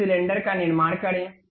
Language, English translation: Hindi, Construct a cylinder